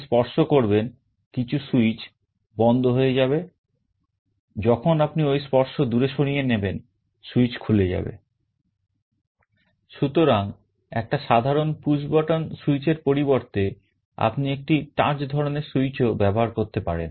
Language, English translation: Bengali, So, instead of a normal push button switch, you can also use a touch kind of a switch